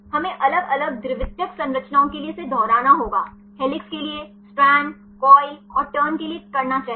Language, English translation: Hindi, We have to repeat, for different secondary structures this for the helix, let do for the strand, coil and turn